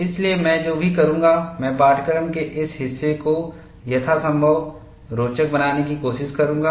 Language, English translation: Hindi, So, what I will do is, I will try to make, this part of the course as interesting as possible